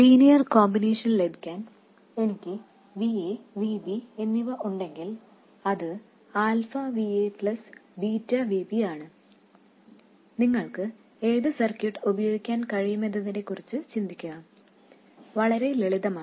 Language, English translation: Malayalam, So, if I have VA and VB, to get the linear combination, which is alpha VA plus beta VB, please think about what circuit you can use